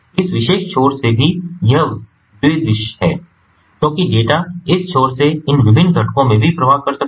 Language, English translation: Hindi, it is bidirectional because the data can flow also from this end to these different components